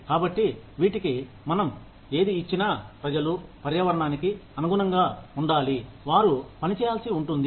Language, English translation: Telugu, So, whatever we give to these people, has to be in line with the environment, that they are supposed to work in